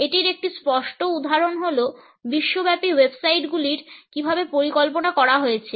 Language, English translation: Bengali, A clear example of it is the way the global websites are designed